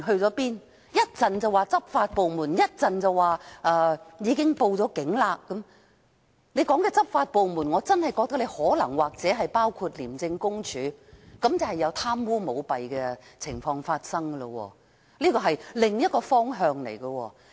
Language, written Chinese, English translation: Cantonese, 港鐵公司一時提及執法部門，一時又說已經報警，所說的執法部門，我認為可能真的包括廉政公署，即可能有貪污舞弊的情況發生，這是另一個方向。, MTRCL mentioned law enforcement agencies and said that it had reported to the Police . I think the law enforcement agencies it mentioned might include ICAC so corruption practices might be involved . This is another direction